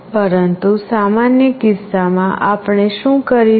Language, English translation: Gujarati, But in general case, what we will be doing